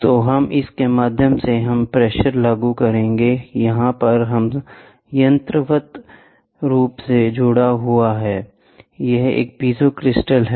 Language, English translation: Hindi, So, I have to so, through here we will apply pressure, ok, here it is mechanically linked, this is a piezo crystal